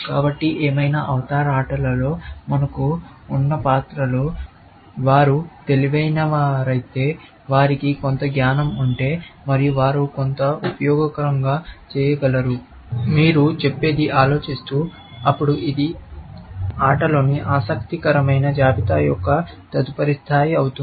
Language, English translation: Telugu, So, whatever, avatar or whatever, characters we have in game; if they are intelligent, which means if they have some knowledge of some kind, and they can do some useful, what you may call, thinking; then, that is going to be the next level of interesting list in game, essentially